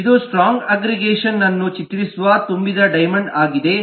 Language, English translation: Kannada, here It is a filled up diamond depicting strong aggregation